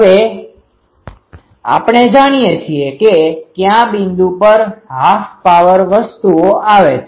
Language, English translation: Gujarati, Now, we know that what is the, at which point half power things come